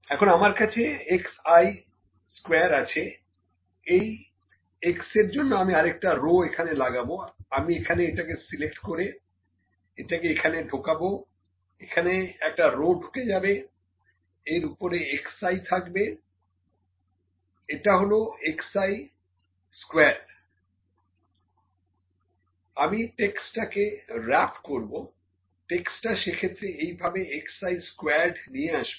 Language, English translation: Bengali, Now, I have x i square this is x I will put another row here, I can put just select an insert it will insert a row above this is x i, this is x i squared I will wrap the text wrap, text will bring it in like this x i squared